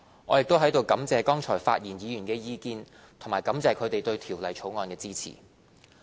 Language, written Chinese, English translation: Cantonese, 我亦在此感謝剛才發言議員的意見，以及感謝他們對《條例草案》的支持。, I am also grateful to Members who have spoken just now and I would like to thank them for their support of the Bill